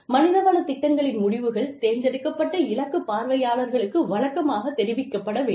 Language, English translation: Tamil, The results of HR programs, should be routinely communicated, to a variety of selected target audiences